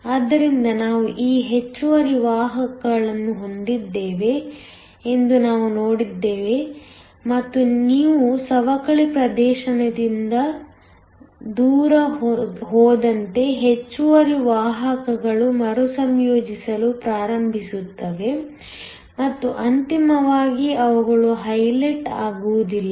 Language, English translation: Kannada, So, we saw that we have these excess carriers and as you move away from the depletion region, the excess carriers start to recombine and they ultimately are unhighlighted